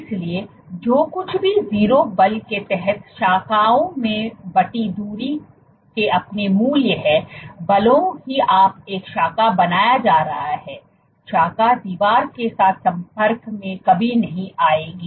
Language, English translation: Hindi, So, even if you whatever your value of branching distance under 0 force even if you have a branch getting created, the branch will never get in touch with the wall ok